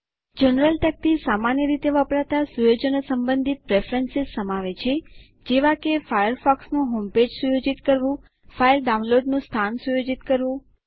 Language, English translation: Gujarati, The General panel contains preferences related to the most commonly used settings, such as#160:setting Firefox home page.setting file download location